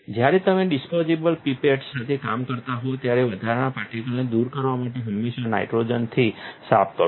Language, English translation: Gujarati, When you are working with disposable pipettes, always clean them with nitrogen to remove excess particles